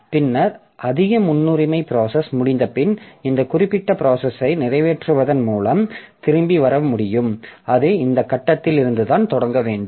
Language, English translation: Tamil, Then what happens is that after that higher priority process is over, I must be able to come back with execution of this particular process and it has to start from this point onwards